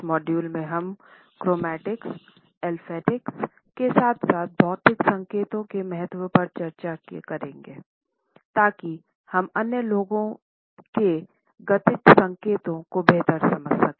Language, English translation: Hindi, In this module we would be discussing Chromatics, Olfactics as well as the significance of Physical Appearance to understand the kinetic signals of other people